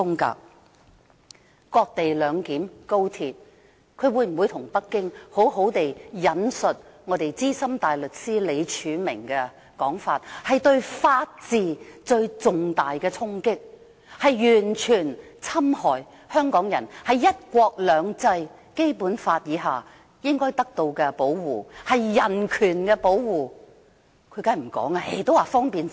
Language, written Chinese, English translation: Cantonese, 高鐵的"割地兩檢"，她會否向北京好好地引述我們資深大律師李柱銘的說法，這是對法治的重大衝擊，完全侵害香港人在"一國兩制"和《基本法》下應得的保護——是對人權的保護。, Will she properly relay to Beijing Senior Counsel Martin LEEs advice that the cession - based co - location arrangement for the Express Rail Link XRL will deal a heavy blow to the rule of law and completely undermine Hong Kong peoples legitimate protection under one country two systems and the Basic Law? . I mean the protection of human rights